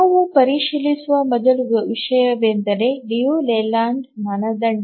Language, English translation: Kannada, The first thing we check is the Liu Leyland criterion